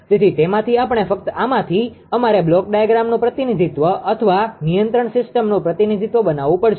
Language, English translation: Gujarati, So, from that we have to from this only, we have to make the block diagram representation our control system representation